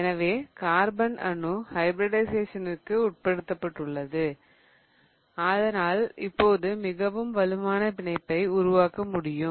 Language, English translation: Tamil, So, because the carbon atom is undergoing hybridization, it can now form much stronger bond